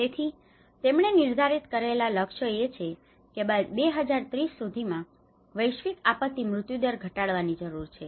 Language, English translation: Gujarati, So the targets which they have set up is about they need to reduce the global disaster mortality by 2030